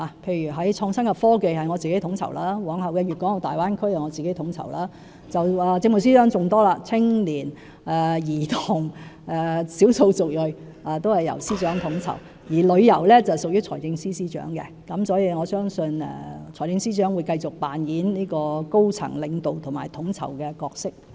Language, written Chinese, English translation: Cantonese, 例如創新科技方面由我統籌，往後的粵港澳大灣區也是由我統籌；政務司司長的工作更多，青年、兒童、少數族裔等工作均由司長統籌；而旅遊則屬於財政司司長，所以我相信財政司司長會繼續擔當高層領導及統籌的角色。, For instance the efforts at innovation and technology and the upcoming Guangdong - Hong Kong - Macao Bay Area are coordinated by me; the Chief Secretary for Administration has taken up more coordination responsibilities including matters related to youth children ethnic minorities etc . ; tourism falls under the brief of the Financial Secretary who I believe will continue to play a high - level leadership and coordination role